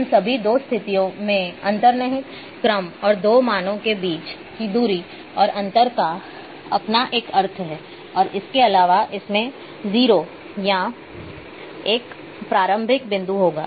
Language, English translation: Hindi, So, all those two conditions inherent order and that the difference between and distance between two values, have the meaning plus in addition there is a it will have a 0 or a starting point